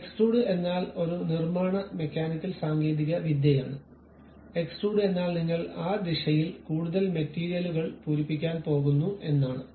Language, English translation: Malayalam, Extruded means a manufacturing mechanical technology; extrude means you are going to fill more material in that direction